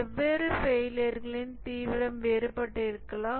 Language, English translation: Tamil, The different failures have different severity